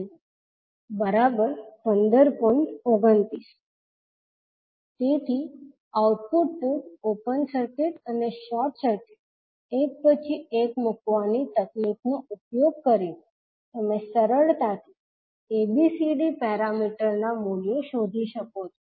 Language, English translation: Gujarati, So using the technique of putting output port open circuit and short circuit one by one you can easily find out the values of ABCD parameter